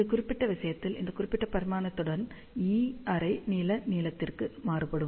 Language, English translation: Tamil, So, in this particular case, E varies half wave length along this particular dimension